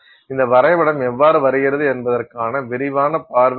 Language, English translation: Tamil, So this is just a quick look at how that diagram comes about